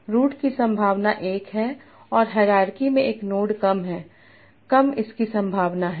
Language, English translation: Hindi, Probability of root is 1 and the lower node in the hierarchy the lower is its probability